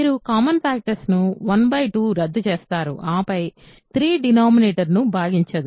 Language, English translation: Telugu, So, you cancel common factors 1 by 2 is what you get and then, 3 does not divide the denominator